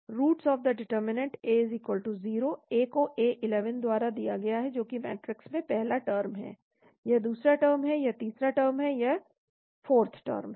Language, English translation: Hindi, Roots of the determinant A=0, A is is given by a11 that is the term first term in the matrix, this is a second term, this is the third term, this is the 4th term